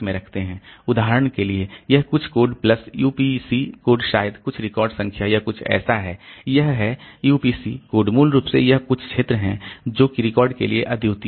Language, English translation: Hindi, For example, this this some code plus the UPC code may be some record number or something some some, so this is this UPC code is basically some field that is unique for the record